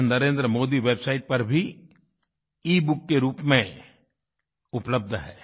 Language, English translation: Hindi, This is also available as an ebook on the Narendra Modi Website